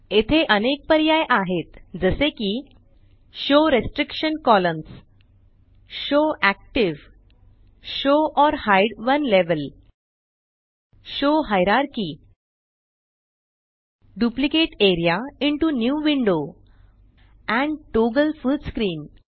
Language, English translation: Marathi, Here are various options like Show restriction columns, show active, show or hide one level, show hierarchy, Duplicate area into New window and Toggle full screen